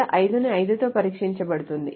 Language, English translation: Telugu, 5 is tested with 5, it is not true